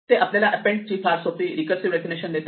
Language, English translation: Marathi, This gives us a very simple recursive definition of append